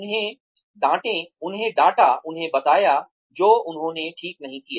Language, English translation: Hindi, Scold them, tell them, what they did not do right